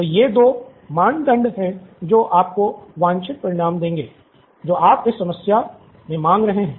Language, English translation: Hindi, So, these are 2 criteria that will give you the desired result that you are seeking in this problem